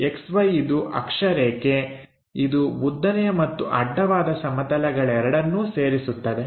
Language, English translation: Kannada, X Y is the axis which is intersecting both vertical and horizontal plane